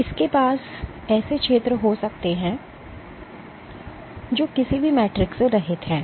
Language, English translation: Hindi, It can have zones where, which are devoid of this any Matrix